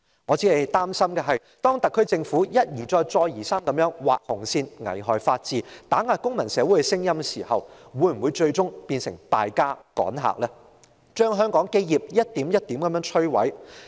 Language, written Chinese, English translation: Cantonese, 然而，我擔心當特區政府一而再、再而三地劃"紅線"，危害法治，打壓公民社會的聲音時，會否最終變成"敗家"、趕客，將香港的基業一點一滴地摧毀。, However I worry that the SAR Governments repetitive acts of drawing red lines to undermine the rule of law and suppressing the voice of civil society will eventually ruin the business of Hong Kong and put our trade partners off thereby ruining the foundation of Hong Kong little by little